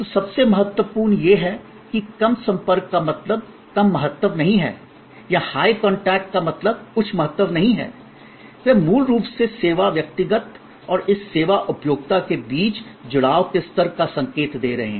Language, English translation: Hindi, So, most important is that low contact does not mean low importance or high contact does not necessarily mean high importance, they are basically signifying the level of engagement between the service personal and this service consumer